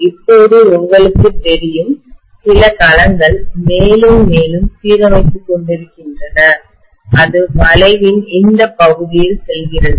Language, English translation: Tamil, Now when I am actually having you know some of the domains aligning further and further, it is traversing this portion of the curve, right